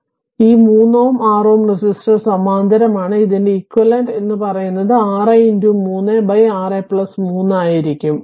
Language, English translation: Malayalam, So, this 3 ohm and 6 ohm resistor are in parallel right and there equivalent will be 6 into 3 by 6 plus 3